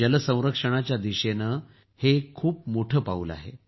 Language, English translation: Marathi, This is a giant step towards water conservation